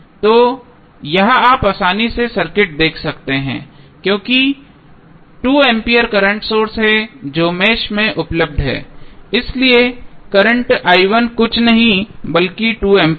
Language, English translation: Hindi, So, this you can easily see from the circuit because 2 ampere is the current source which is available in the mesh so the current i 1 was nothing but 2 ampere